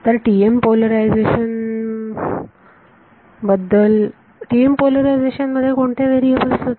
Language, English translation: Marathi, So, for the TM polarization right what was the variables in TM